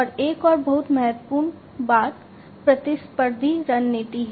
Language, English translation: Hindi, And also another very important thing is the competitive strategy